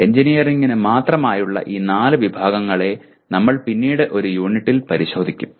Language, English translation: Malayalam, We will look at these four categories specific to engineering in one of the units later